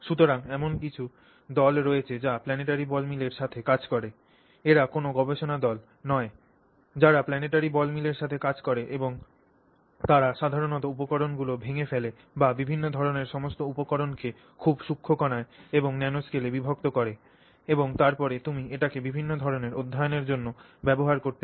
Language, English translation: Bengali, There are research groups which work with planetary ball mill and they do typically you know breakdown materials, all sorts of different materials can be broken down to very fine particles and into the nanoscale and then you can use that to carry out a wide range of studies